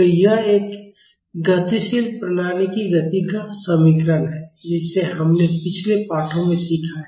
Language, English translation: Hindi, So, this is the equation of motion of a dynamic system we have learned it in the previous lessons